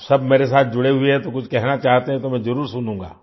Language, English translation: Hindi, All of you are connected with me, so if you want to say something, I will definitely listen